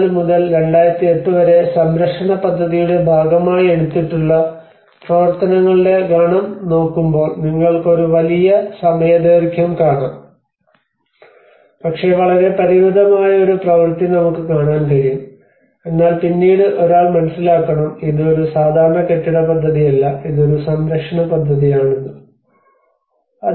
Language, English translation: Malayalam, So, but then when you look at the set of activities which has been taken as a part of the conservation plan from 1954 to 2008 you see a huge span of time but then a very limited work what we can see but then one has to understand, it is not a regular building project, it is a conservation project